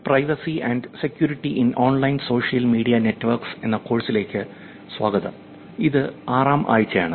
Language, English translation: Malayalam, Welcome back to the course Privacy and Security in Online Social Media, this is week 6